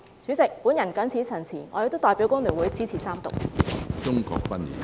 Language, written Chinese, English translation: Cantonese, 主席，我謹此陳辭，我亦代表工聯會支持三讀。, With these remarks President I express support for the Third Reading of the Bill on behalf of FTU